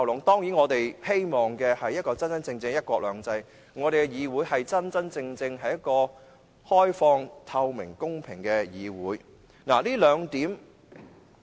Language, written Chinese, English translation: Cantonese, 當然，我們希望有一個真正的"一國兩制"，我們的議會是一個真正開放、透明及公平的議會。, We surely hope to see the real implementation of one country two systems . The Legislative Council is really an open transparent and fair legislature